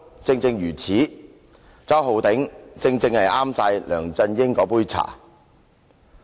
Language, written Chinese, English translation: Cantonese, "周浩鼎議員正是梁振英那杯茶。, Mr Holden CHOW is exactly LEUNG Chun - yings cup of tea